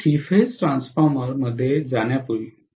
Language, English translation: Marathi, Before we venture into the three phase transformer, right